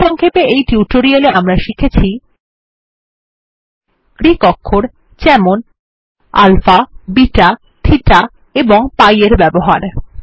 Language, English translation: Bengali, In this tutorial, we will cover the following topics: Using Greek characters like alpha, beta, theta and pi Using Brackets